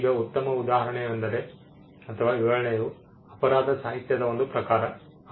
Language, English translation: Kannada, Now the best instance would be, or 1 illustration would be the genre in literary works crime fiction